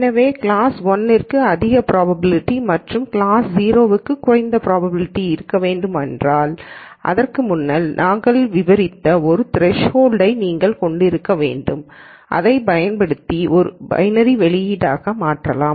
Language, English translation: Tamil, So, let us say if you want class 1 to have high probability and class 0 is a, row prob, low probability case, then you need to have a threshold that we described before that you could convert this into a binary output by using a threshold